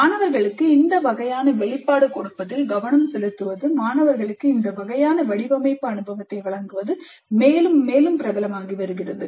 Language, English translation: Tamil, So the focus on giving this kind of exposure to the students, providing this kind of design experience to the students is becoming more and more popular